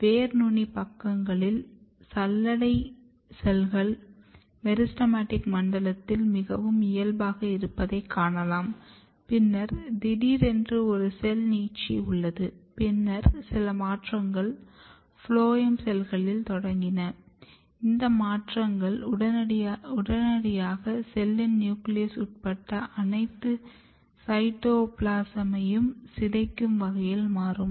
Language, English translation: Tamil, And at the root tip sides you can see that sieve element cells they are looking very normal very normal in the meristematic zone and then suddenly what happens that there is a cell elongation the cells started elongating and then some changes started in the phloem cells; and this changes immediately turns in a way that this cells degrades all the cytoplasm including the nucleus